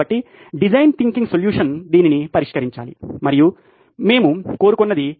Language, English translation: Telugu, So the design thinking solution should address this and this is what we are seeking